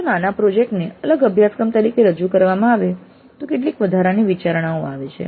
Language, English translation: Gujarati, But if mini project is offered as a separate course, then some additional considerations come into the picture